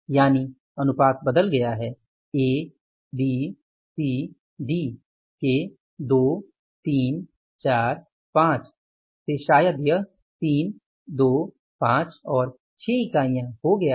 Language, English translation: Hindi, Once the proportion has changed from A, B, C, D, 2, say again from the 2, 3, 4, 5 units to maybe 3, 2 then it is 5 and 6 units